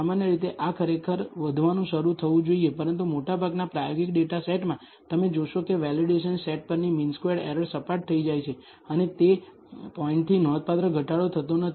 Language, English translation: Gujarati, Typically this should actually start increasing but in most experimental data sets you will find that the mean squared error on the validation set flattens out and does not significantly decrease beyond the point